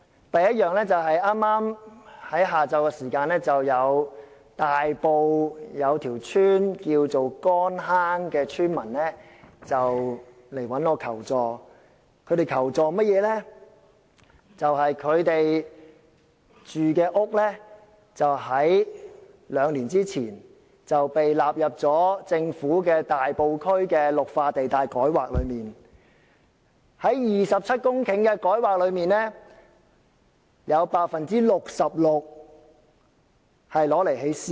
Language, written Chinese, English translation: Cantonese, 第一，剛於今午，大埔乾坑村的村民向我求助，表示他們的住屋在兩年前被政府納入大埔區的綠化地帶改劃範圍，在27公頃的改劃土地中，有 66% 會用作興建私樓。, First this afternoon villagers of Kon Hang Village approached me for help . Their houses were included in the rezoned green belt sites in Tai Po two years ago . Of the 27 hectares of rezoned land 66 % will be used for the construction of private housing